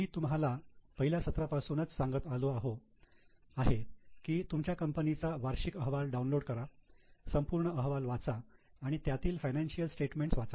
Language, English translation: Marathi, I have you been telling you right from first session that for your company download the annual report, read the whole report, read the financial statements